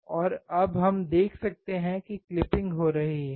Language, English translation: Hindi, And now we can see there is a clipping occurring